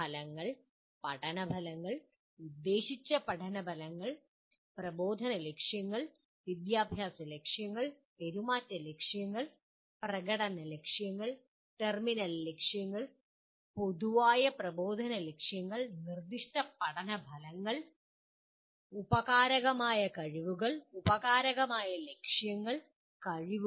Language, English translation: Malayalam, Outcomes, learning outcomes, intended learning outcomes, instructional objectives, educational objectives, behavioral objectives, performance objectives, terminal objectives, general instructional objectives, specific learning outcomes, subordinate skills, subordinate objectives, competencies